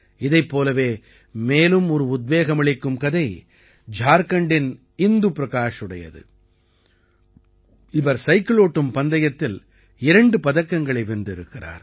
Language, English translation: Tamil, Another such inspiring story is that of Indu Prakash of Jharkhand, who has won 2 medals in cycling